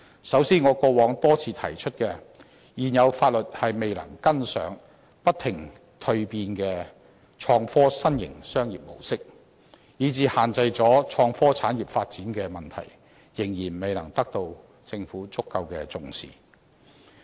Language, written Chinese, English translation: Cantonese, 首先，我過往多次提出，現有法律未能跟上不停蛻變的創科新型商業模式，以致限制了創科產業發展的問題，仍然未能得到政府足夠的重視。, First of all as I have pointed out repeatedly our legislation which fails to keep up with the ever - evolving business model of the innovation and technology industry is now restraining its growth . This problem has yet to receive due heed from the Government